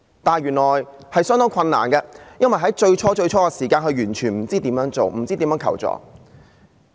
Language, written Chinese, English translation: Cantonese, 但是，原來對她來說是相當困難的，因為她最初完全不知道如何處理和求助。, That said actually it was a very challenging situation for her because initially she had no idea at all how to handle the matter and seek help